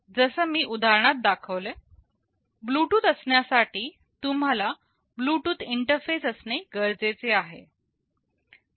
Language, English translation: Marathi, Just for the example I cited, for having Bluetooth you need to have a Bluetooth interface